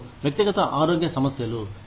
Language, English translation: Telugu, And, personal health issues